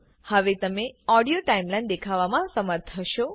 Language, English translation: Gujarati, You will be able to view the Audio Timeline now